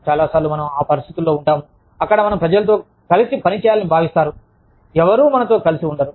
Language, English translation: Telugu, So many times, we are put in situations, where we are expected to work with people, who, we do not get along with